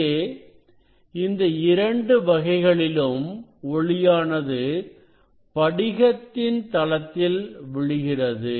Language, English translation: Tamil, both cases light is falling on the surface of the crystal